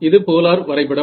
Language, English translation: Tamil, It is a polar plot ok